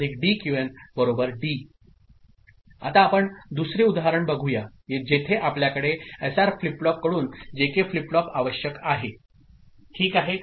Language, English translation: Marathi, Now, let us look at another example ok, where we have JK flip flop required from SR flip flop ok